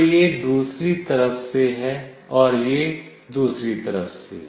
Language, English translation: Hindi, So, this is from the other side and this is from the other one